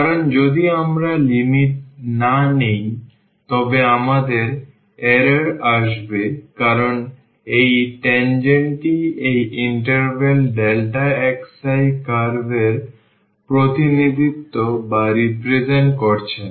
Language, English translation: Bengali, Because, if we do not take the limit we have the error because this tangent is not representing the curve in this interval delta x i